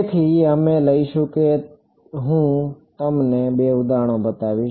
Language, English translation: Gujarati, So, we will take I mean I will show you two examples